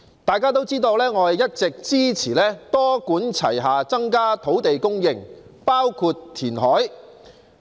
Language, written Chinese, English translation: Cantonese, 大家都知道，我一直支持多管齊下增加土地供應，包括填海。, As Members all know I have always supported a multi - pronged approach to increase land supply including reclamation